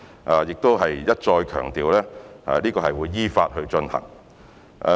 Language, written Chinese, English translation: Cantonese, 我亦想一再強調，這項工作會依法進行。, I would also like to stress once again that this piece of work will be conducted in accordance with the law